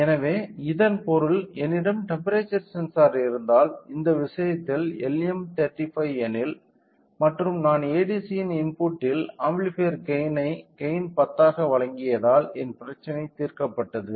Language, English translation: Tamil, So, that means, if I have a temperature sensor which in this case is of LM35 and if I provide a gain amplifier with a gain of 10 give it as in input of ADC my problem is solved